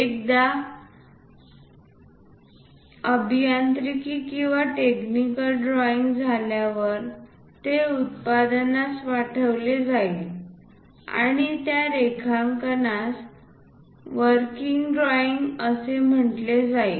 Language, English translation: Marathi, Once engineering or technical drawing is done, it will be sent it to production and that drawing will be called working drawings